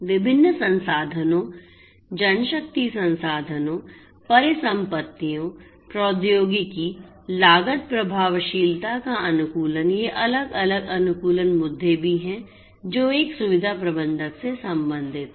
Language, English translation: Hindi, Optimization of different resources manpower resources, assets, technology, cost effectiveness these are also different optimization issues that a facility manager deals with